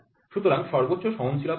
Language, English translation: Bengali, So, what is the maximum permissible tolerance